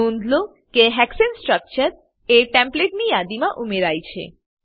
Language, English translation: Gujarati, Observe that Hexane structure is added to the Template list